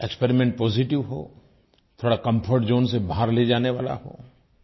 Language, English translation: Hindi, The experiment must be positive and a little out of your comfort zone